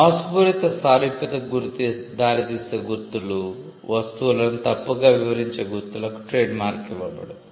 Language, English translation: Telugu, Marks that lead to deceptive similarity, marks which misdescribes the goods attached to it will not be granted trademark